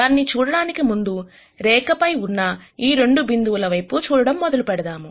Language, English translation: Telugu, To see that, let us first start by looking at 2 points on the line